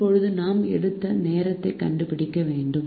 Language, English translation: Tamil, now we have to find out the time taken by a